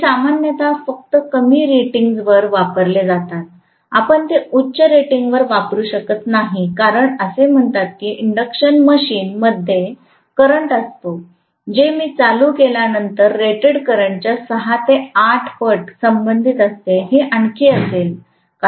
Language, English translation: Marathi, So these are generally used only at lower ratings, you cannot use them at very high ratings as it is we said induction machine is going to carry a current, which is corresponding to almost 6 to 8 times the rated current when I am starting them, this will be even more